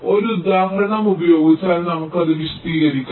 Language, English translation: Malayalam, ok, lets illustrate it with an example